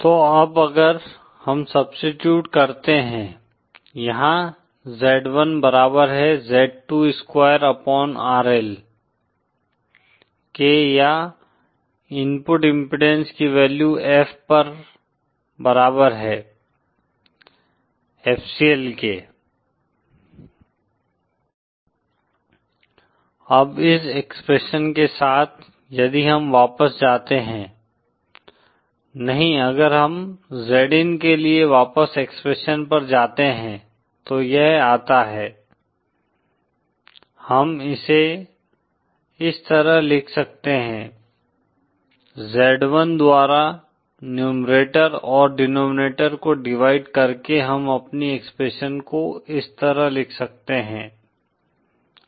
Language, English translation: Hindi, So now if we substitute; here Z1is equal to Z 2 square upon RL or the value of the input impedance at F equal to FCL, Now with this expression, if we go back to, no if we go back to the expression for Z in then it comes, we can we can write it like this; By dividing the numerator and denominator by Z1 we can write our expression like this